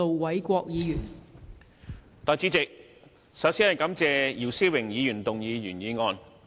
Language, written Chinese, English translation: Cantonese, 代理主席，首先感謝姚思榮議員提出原議案。, Deputy President first of all I would like to thank Mr YIU Si - wing for moving the original motion